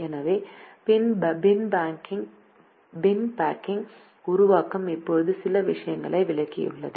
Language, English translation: Tamil, so the bin packing formulation now has explained a few things